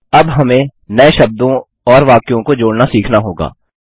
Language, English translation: Hindi, We will now learn to add new words and sentences